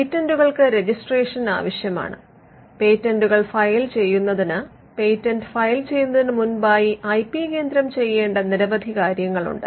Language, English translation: Malayalam, Patents require registration and for filing patents there is a series of steps that the IP centre has to involve in before a patent can be filed